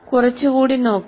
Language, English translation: Malayalam, Let us look at a little more of this